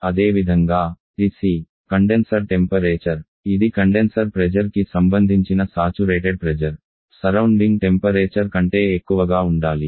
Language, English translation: Telugu, Similarly, TC the condenser temperature, which is the saturation pressure corresponding to the condenser pressure has to be greater than the surrounding temperature